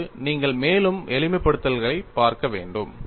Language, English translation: Tamil, And now, you will have to look at further simplifications